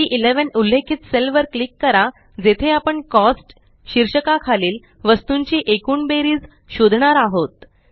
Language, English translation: Marathi, Click on the cell referenced as C11 where we will find the total of the items under the heading Cost